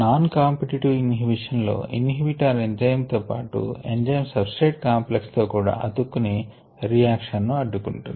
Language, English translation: Telugu, in the non competitive inhibition, the inhibitor binds to the enzyme as well as the enzyme substrate complex and individual reaction